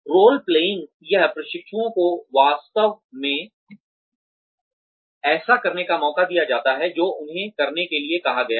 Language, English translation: Hindi, Role playing is, the trainees are given a chance to actually do, what they have been asked to do